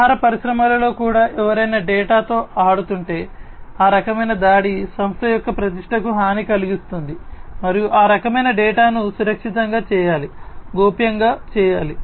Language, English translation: Telugu, In food industries also you know if somebody plays around with the data that kind of attack can harm the reputation of the company and that kind of data should be made secured, should be made confidential